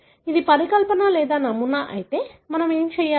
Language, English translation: Telugu, So, if that is the hypothesis or model, what we need to do